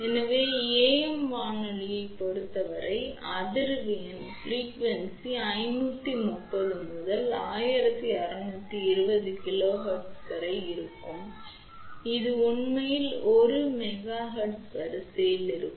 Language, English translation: Tamil, So, for AM radio frequency ranges from 530 to 16 20 kilohertz which is really of the order of 1 megahertz